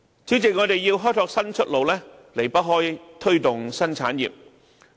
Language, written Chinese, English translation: Cantonese, 主席，我們要開拓新出路，離不開推動新產業。, President we will not be able to explore a new way forward without promoting new industries